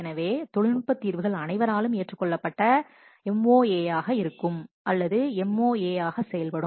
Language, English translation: Tamil, So, the technical solution which is agreed by all that will serve as the MOA, that is the MOA